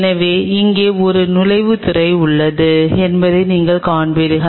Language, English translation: Tamil, So, you will see there is an entry port here